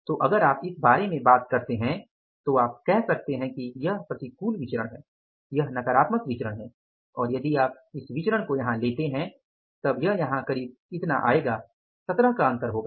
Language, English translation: Hindi, So, if you talk about this, you can say that this is the adverse variance, this is the negative variance and if you take this variance here as this will work out as this is the difference of 17